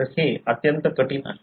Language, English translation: Marathi, So, it is extremely difficult